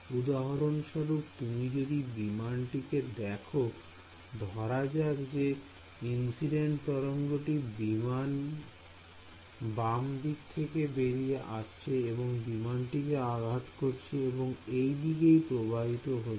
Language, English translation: Bengali, For example, if you look at this aircraft over here let us say the incident wave is coming from the left hand side like this its possible that you know it hits this aircraft over here and the wave goes off in this direction right